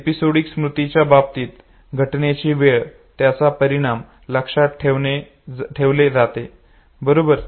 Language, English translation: Marathi, Remember in the case of episodic memory, time of the event, the consequence, okay